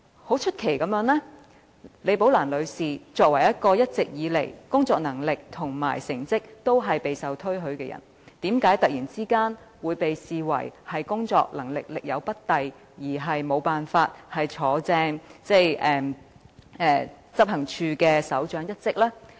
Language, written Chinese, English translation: Cantonese, 很出奇地，李寶蘭女士作為工作能力和成績一直都備受推許的人員，為何突然會被視為工作能力力有不逮而無法正式晉升為執行處首長呢？, Very surprisingly as an officer who has all along been highly acclaimed for her good ability and outstanding performance Ms Rebecca LI was suddenly criticized for failing to perform up to the required standard and was therefore considered not suitable for substantive promotion to the position of Head of Operations . Why is that so?